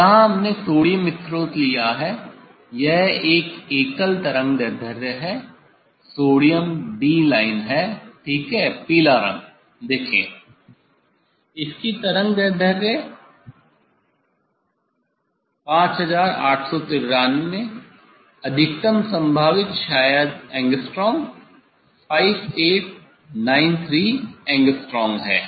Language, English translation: Hindi, here we have taken sodium source is a single wavelength sodium d line ok, yellow color see its wavelength is 500 5893 5893 most probably Angstrom 5893 Angstrom